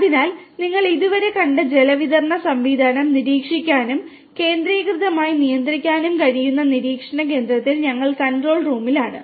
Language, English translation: Malayalam, So, we are at the control room the monitoring point from where the water distribution system that you have seen so far can be monitored and centrally controlled